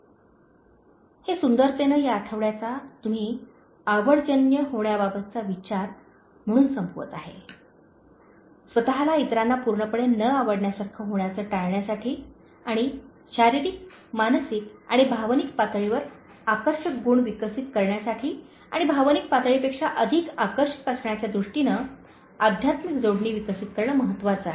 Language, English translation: Marathi, ” This beautifully sums up the weeks thought in terms of making yourself likeable, in terms of avoiding yourself being totally dislikeable by others and developing attractive qualities as a physical, mental and emotional level and more than emotional level, it is important to develop this spiritual connectivity in terms of being attractive